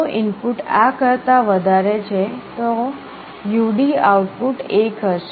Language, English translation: Gujarati, If the input is greater than this, the U/D’ output will be 1